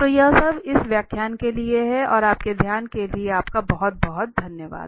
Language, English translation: Hindi, So that is all for this lecture and thank you very much for your attention